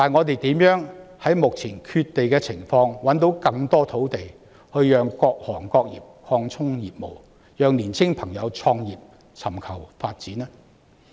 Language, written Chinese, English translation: Cantonese, 然而，在目前缺地的情況下，我們怎樣能夠找到更多土地讓各行各業擴充業務、讓年青朋友創業和尋求發展呢？, Nonetheless given the current land shortage how can we find more land for various trades and industries to expand their business and operation and for young people to start their own businesses and seek development?